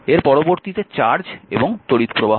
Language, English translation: Bengali, Next is the charge and current